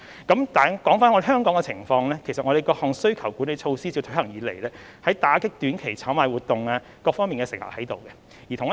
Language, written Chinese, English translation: Cantonese, 說回香港的情況，其實我們各項需求管理措施自推行以來，在打擊短期炒賣活動方面是有成效的。, Coming back to the situation in Hong Kong in fact since the launch of our different demand - side management measures short - term speculative activities have been effectively curbed